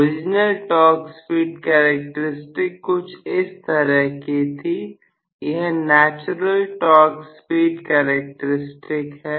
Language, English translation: Hindi, May be the original torque speed characteristics was like this, so, this the natural torque speed characteristics